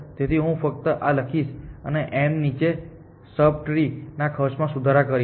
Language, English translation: Gujarati, So, I will just write this and propagate improve cost to sub tree below m